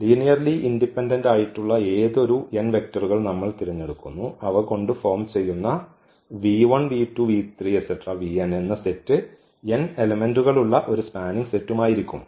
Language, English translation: Malayalam, We pick any n vectors which are linearly independent that will be the basis and any spanning set v 1 v 2 v 3 v n with n elements